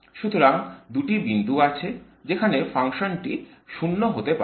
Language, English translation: Bengali, So there are 2 points at which the function goes to 0